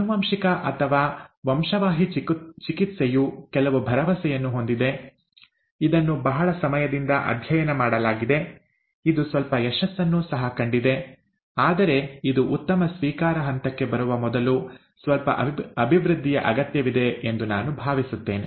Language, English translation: Kannada, Genetic, or gene therapy has some promise, it is , it has been studied for quite a long time; it has had a few successes, but I think it needs quite a bit of development before it gets to a good acceptance stage